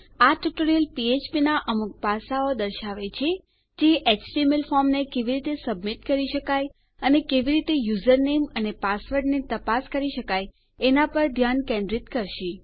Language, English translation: Gujarati, This tutorial will give a few aspects of php that will focus on how an html form can be submitted and how to check for user name and password